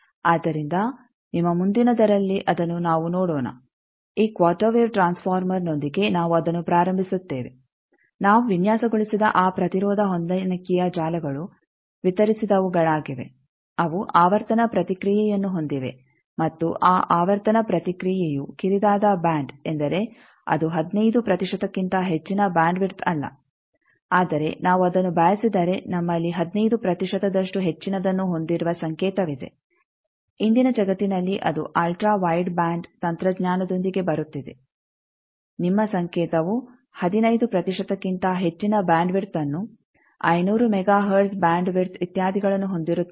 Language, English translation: Kannada, So, we will see that next in your next ones that with this quarter wave transformer we will start that those impedance matching network that we have designed distributed ones there they have a frequency response and that frequency response is narrow band means it is not more than 15 percent bandwidth, but if we want that we have a signal which is having more 15 percent more in today’s world that is coming up with ultra wide band technology your signal will be having much more bandwidth much larger than 15 percent 500 mega hertz bandwidth etcetera